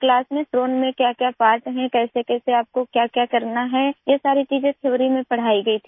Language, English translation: Hindi, In the class, what are the parts of a drone, how and what you have to do all these things were taught in theory